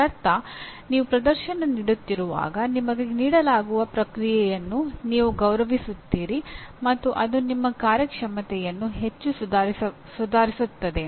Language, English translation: Kannada, That means you value the feedback that is given to you when you are performing and that will greatly improve your performance